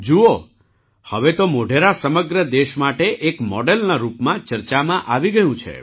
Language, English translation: Gujarati, Look, now Modhera is being discussed as a model for the whole country